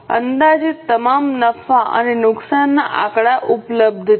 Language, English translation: Gujarati, So all the estimated profit and loss figures are available